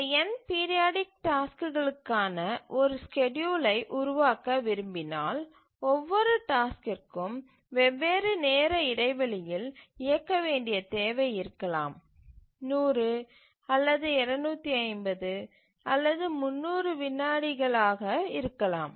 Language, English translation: Tamil, Let me rephrase that if we want to develop a schedule for this n periodic tasks, each task requiring running at different time intervals, some may be 100, some may be 250, some may be 300 milliseconds etc